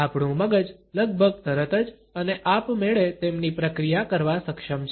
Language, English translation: Gujarati, Our brain is capable of processing them almost immediately and automatically